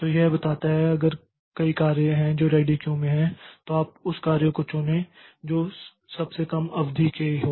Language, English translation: Hindi, So, it tells that if there are a number of jobs which are in the ready queue, so you pick up the job which is of shortest duration